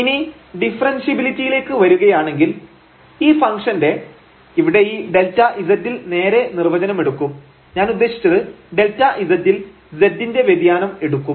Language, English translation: Malayalam, And now coming to the differentiability, so of this function, so we will take this delta z direct definition here, I mean for the delta z, the variance in z